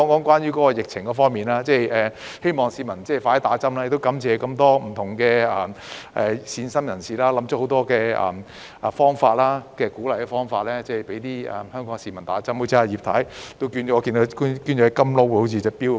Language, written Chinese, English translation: Cantonese, 最後，在疫情方面，我希望市民盡快接種疫苗，亦感謝各位善心人士想出很多方法鼓勵香港市民接種疫苗，例如葉太好像捐出了一隻"金勞"手錶。, Lastly regarding the epidemic situation I hope that members of the public will receive vaccination as soon as possible . I am also grateful to those kind - hearted people who have come up with so many ways to encourage Hong Kong people to get vaccinated eg . Mrs Regina IP seems to have donated a Rolex gold watch